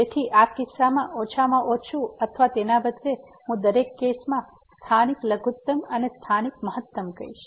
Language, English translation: Gujarati, So, in this case the minimum or rather I would say the local minimum in each case or local maximum